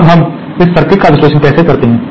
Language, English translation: Hindi, Now, how do we analyse this circuit